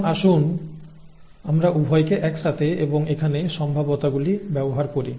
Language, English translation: Bengali, Now let us look at both of them together, okay, and use probabilities here